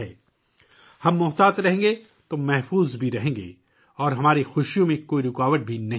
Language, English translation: Urdu, If we are careful, then we will also be safe and there will be no hindrance in our enjoyment